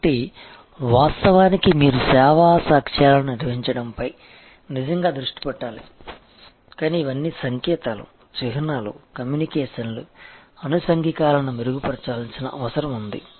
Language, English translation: Telugu, So, their of course,, you have to really focus on the managing the service evidence,, but we call all the as I was start talking about the signs, the symbols, the communications, the collaterals as all these need to be improved